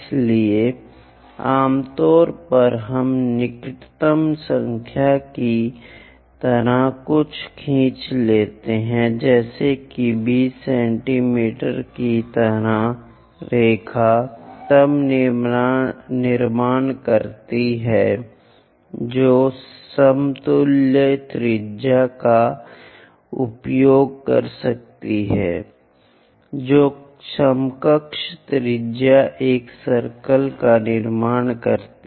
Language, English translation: Hindi, So, usually, we draw something like a nearest number something like 20 mmor 20mm 20 centimeters kind of line then construct what might be the equivalent radius use that equivalent radius construct a circle